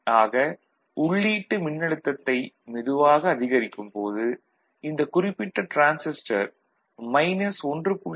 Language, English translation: Tamil, So, as we keep incrementally increasing it this particular transistor will offer a gain of minus 1